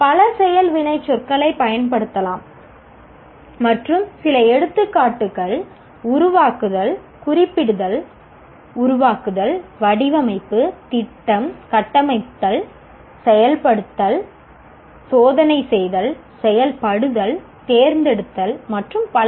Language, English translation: Tamil, Several action verbs can be used and some examples we have given below like formulate, specify, conceive, design, plan, architect, build, implement, test, operate, select and so on and on